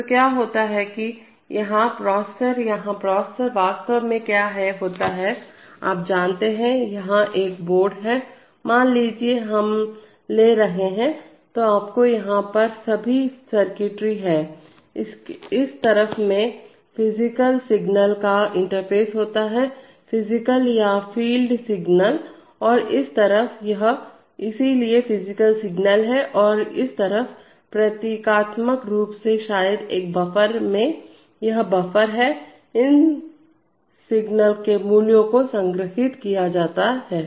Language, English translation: Hindi, So what happens is that the processor here, the processor here, actually what happens is that, you know, here is a board, suppose we are taking, so you have all the circuitry here, in this side the physical signals are interfaced, physical or field signals and on this side, the, this, so these are physical signals and on this side, symbolically maybe in a buffer, this is a buffer, the values of these signals are stored